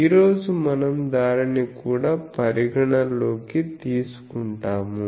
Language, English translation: Telugu, Today we will take that also into account